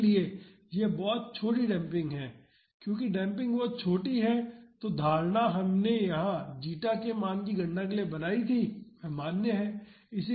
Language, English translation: Hindi, So, that is very small damping since the damping is very small the assumption that we made here to calculate the zeta is valid